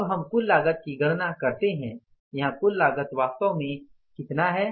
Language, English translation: Hindi, Now we calculate the total cost here